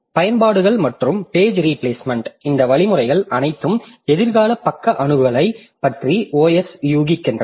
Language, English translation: Tamil, Applications and page replacement, all of these algorithms have OS guessing about future page access